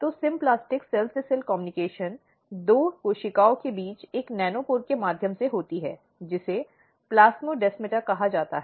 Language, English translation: Hindi, So, symplastic cell to cell communication is basically through a nanopore between two cells, which is called plasmodesmata